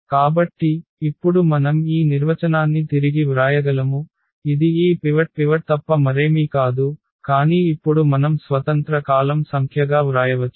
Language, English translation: Telugu, So, now we can rewrite our definition which says for this rank that this is nothing but a number of pivots, but now we can write down as the number of independent columns